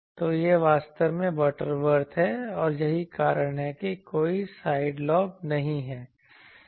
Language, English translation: Hindi, So, this is actually Butterworth and you see that is why there are no side lobes